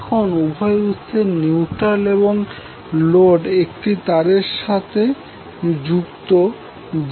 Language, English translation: Bengali, Now the neutrals of both of the source as well as load are connected through wire having impedance equal to ZN